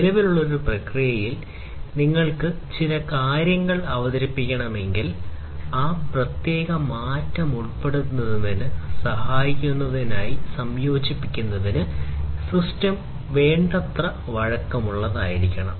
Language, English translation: Malayalam, If you need to introduce certain things in an existing process, the system should be flexible enough in order to incorporate in order to help in incorporate incorporating that particular change